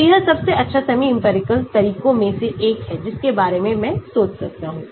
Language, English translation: Hindi, so it is one of the best semi empirical methods I can think of